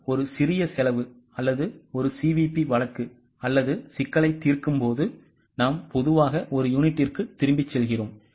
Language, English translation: Tamil, When we are solving a marginal costing or a CBP case or a problem, we normally go by per unit